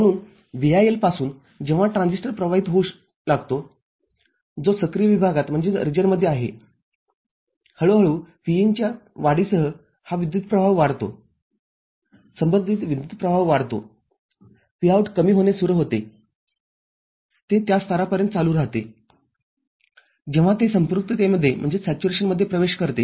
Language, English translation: Marathi, So, from VIL when the transistor starts conducting which is in the active region, gradually with increase in Vin this current increases corresponding collector current increases Vout starts falling, it continues up to a level which is known as when it enters the saturation